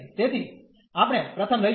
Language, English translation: Gujarati, So, we will take the first one